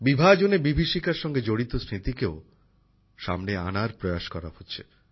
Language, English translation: Bengali, An attempt has been made to bring to the fore the memories related to the horrors of Partition